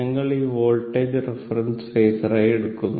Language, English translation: Malayalam, So, same thing here the current as reference phasor